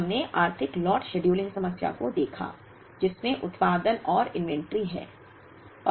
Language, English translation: Hindi, We looked at economic lot scheduling problem, which have production and inventory